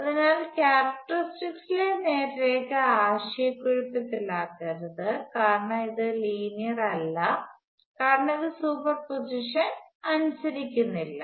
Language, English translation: Malayalam, So, do not be confused by the straight line in the characteristics it is not linear, because it does not obey superposition